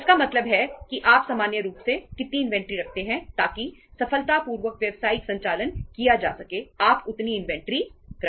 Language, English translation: Hindi, It means how much inventory you keep normally you own normally so that successfully the business operations can be done, you keep that much inventory